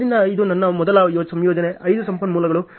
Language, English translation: Kannada, So, this is my first combination 5 resources